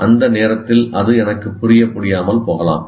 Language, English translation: Tamil, It doesn't make meaning to me at that point of time